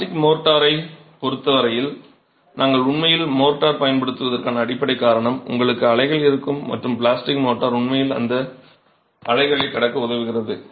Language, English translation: Tamil, As far as plastic motor is concerned, the fundamental reason why we actually use motor is because you will have undulations in courses, you will have undulations and the plastic motor actually helps to overcome those undulations